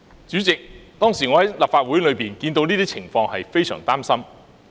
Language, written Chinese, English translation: Cantonese, 主席，我當時身在立法會大樓內，看到這些情況，感到非常擔心。, President I was in the Legislative Council Complex at that time . Seeing such a situation I felt very worried